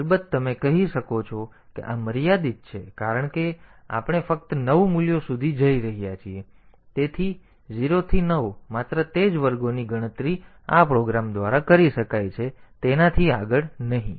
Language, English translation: Gujarati, Of course, you can say that this is limited because we are just going up to the value 9, so 0 to 9 only those squares can be computed by this program not beyond that